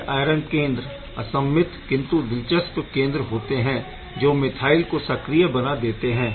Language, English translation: Hindi, So, although these are unsymmetrical iron center, but these are fascinating centers which can activate the methane right